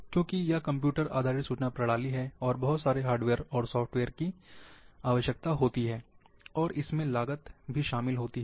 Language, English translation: Hindi, Because it is computer based information system, and lots of hardware and software are required, and that involves cost